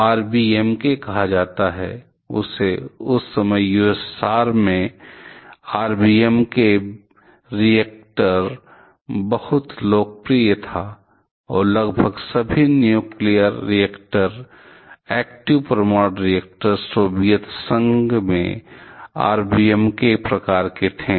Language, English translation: Hindi, So, LWGR or called RBMK; that time RBMK reactors are extremely popular in USSR and almost all nuclear reactors, active nuclear reactors in so Soviet Union were of RBMK type